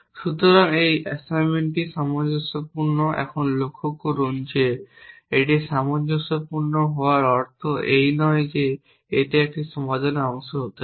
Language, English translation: Bengali, So, this assignment is consistent now observe that just because it is consistent it does not mean it can be a part of a solution